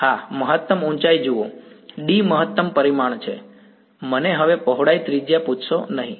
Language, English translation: Gujarati, Yeah, height max see D is the maximum dimension do not ask me the width radius now